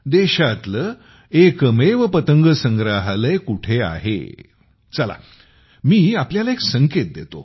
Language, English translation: Marathi, Where is the country's one and only Kite Museum